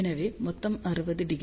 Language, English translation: Tamil, So, total 60 degree